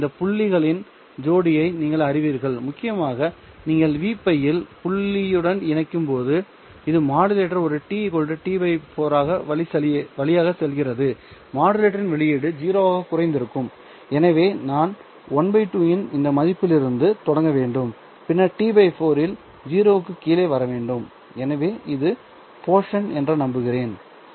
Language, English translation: Tamil, And eventually when you pair to the point at at v pi which the modulator is going through at t equal to t by 4 the output of the maxenter modulator would have gone down to 0 so i have to start from this value of half and then come down to 0 at t by 4 all right so i hope that this portion is okay